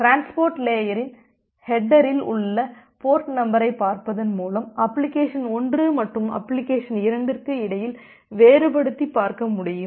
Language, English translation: Tamil, By looking into the port number in the transport layer header, we will be able to differentiate between application 1 and application 2